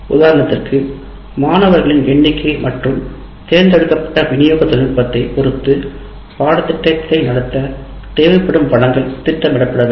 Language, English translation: Tamil, For example, depending on the number of students and delivery technology chosen, the resources needed to conduct the course or to be planned